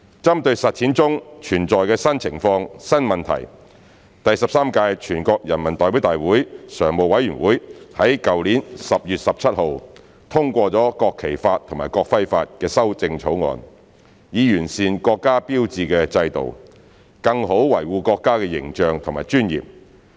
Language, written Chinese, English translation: Cantonese, 針對實踐中存在的新情況、新問題，第十三屆全國人民代表大會常務委員會在去年10月17日通過了《國旗法》及《國徽法》的修正草案，以完善國家標誌制度，更好維護國家的形象和尊嚴。, In view of the new situation and new problems in the implementation the Standing Committee of the 13th National Peoples Congress endorsed the amendments to the National Flag Law and the National Emblem Law on 17 October last year to improve the sign system of the country and better protect the image and dignity of the country